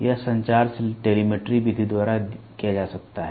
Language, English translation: Hindi, This communication can be done by telemetry method